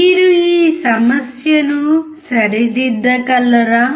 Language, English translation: Telugu, Can you rectify this problem